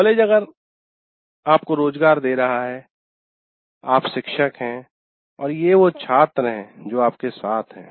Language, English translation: Hindi, He's giving you employment, you're a teacher, and these are the students that are with you